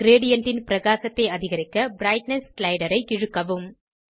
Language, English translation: Tamil, Drag the Brightness slider, to increase the brightness of the gradient